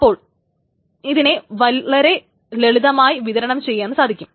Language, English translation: Malayalam, Why it can be very easily distributed